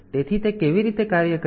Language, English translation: Gujarati, So, how does it operate